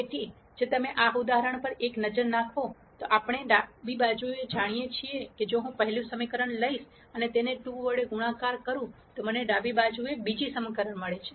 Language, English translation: Gujarati, So, if you take a look at this example, we know the left hand side, if I take the first equation and multiply it by 2 I get the second equation on the left hand side